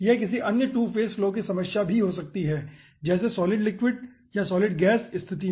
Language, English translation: Hindi, it can be some other aah 2 phase flow problem also: solid liquid or aah, solid gas situations